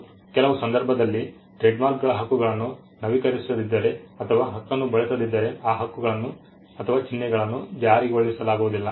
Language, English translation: Kannada, Some of the trademarks can be situations where if the right is not renewed or if the right is not used then that marks cannot be enforced